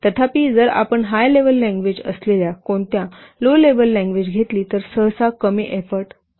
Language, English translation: Marathi, Whereas if you will take a what C level language which is a high level language, then we normally put less effort